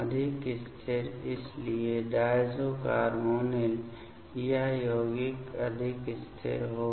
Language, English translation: Hindi, More stable so, diazo carbonyl this compounds will be more stable